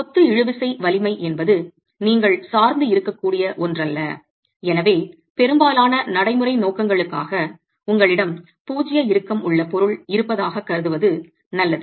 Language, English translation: Tamil, The masonry tensile strength is not something that you can depend on and hence for most practical purposes it's good to assume that you have a zero tension material